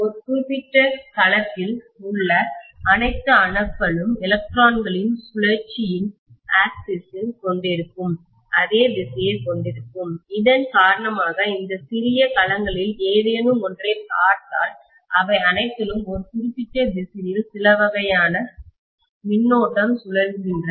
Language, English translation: Tamil, And all that atoms in a particular domain seem to have the axis of the spinning of the electrons along the same direction, because of which if I look at any of these small domains, all of them are having some kind of current spinning in a particular direction